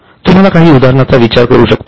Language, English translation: Marathi, Can you think of any examples